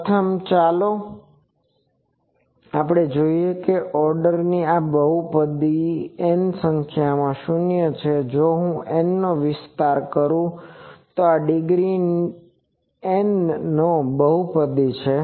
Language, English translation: Gujarati, Firstly, let us see this polynomial of order n has n number of zeros, this is a polynomial of degree N if I expand capital N